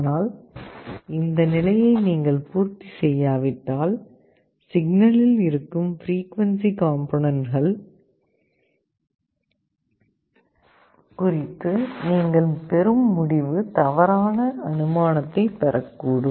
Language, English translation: Tamil, But if you do not satisfy this condition, then your receiving end might get wrong inference regarding the frequency components present in the signal